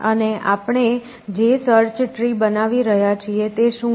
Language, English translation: Gujarati, And so, what is the search tree we are generating